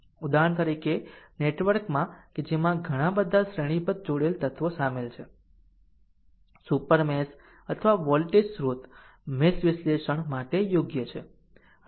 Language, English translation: Gujarati, For example, in network right in network that contains many series connected elements right super meshes or voltage sources are suitable for mesh analysis right